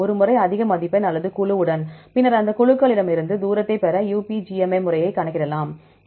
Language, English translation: Tamil, Once with the highest score or the group and then from that groups you can calculate the UPGMA method to get the distance